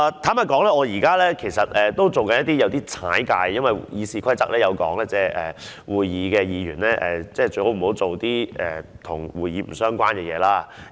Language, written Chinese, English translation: Cantonese, 坦白說，我現在有點"越界"的，因為《議事規則》規定，會議時，議員不要做一些跟會議不相關的事情。, Frankly speaking I am somewhat crossing the line as Members should not engage in any business irrelevant to the meeting in any Council meeting according to the Rules of Procedure